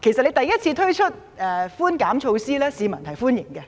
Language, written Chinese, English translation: Cantonese, 當第一次推出稅務寬免措施時，市民表示歡迎。, When tax concession was introduced for the very first time it was well - received by people